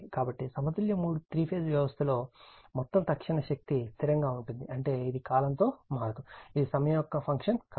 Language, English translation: Telugu, So, thus the total instantaneous power in a balanced three phase system is constant that means, it is time invariant, it is not a function of time right